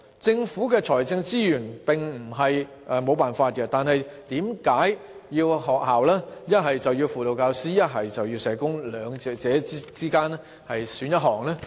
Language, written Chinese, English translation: Cantonese, 政府並非沒有財政資源可以推行這做法，為何要學校從輔導教師與社工兩者之間選擇其一？, The Government does not lack financial resources to launch this approach . Why do the schools have to choose between a guidance teacher and a social worker?